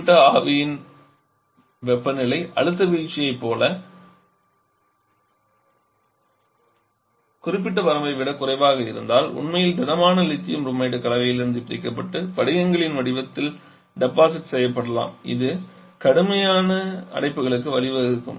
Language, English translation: Tamil, If the temperature particularly in the evaporator draws below certain limit as if pressure drop in Lithium Bromide which actually a solid can get separated from the mixture and can be deposited in the form of Crystal which can lead to severe blockage issues